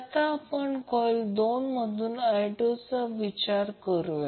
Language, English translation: Marathi, Now let us consider the current I 2 flows through coil 2